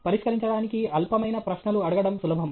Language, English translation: Telugu, It is easy to ask questions that are trivial to solve